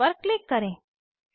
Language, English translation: Hindi, Click on Close